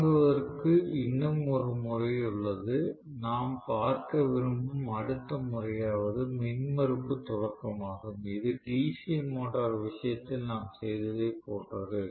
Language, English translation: Tamil, There is one more method of starting, the next method of starting that we would like to look at is impedance starting, which is very similar to what we did in the case of DC motor